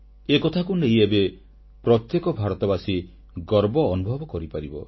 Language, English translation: Odia, Will this not make every Indian feel proud